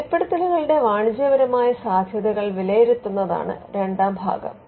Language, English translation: Malayalam, The second part is to evaluate the commercial potential of disclosures